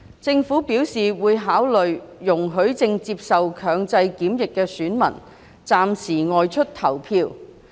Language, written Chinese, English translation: Cantonese, 政府表示會考慮容許正接受強制檢疫的選民暫時外出投票。, The Government has indicated that it will consider allowing electors under compulsory quarantine to go out temporarily to cast their votes